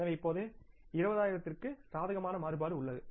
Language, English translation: Tamil, So, now we have the favourable variance of 20,000s